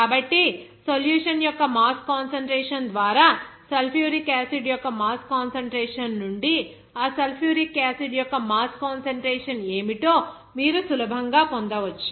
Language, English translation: Telugu, So, from that mass concentration of sulfuric acid by mass concentration of the solution, you can easily get that what is that mass fraction of that sulfuric acid